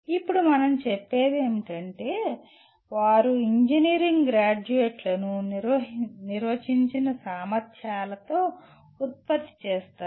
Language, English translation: Telugu, Now what we say, they produce engineering graduates with defined abilities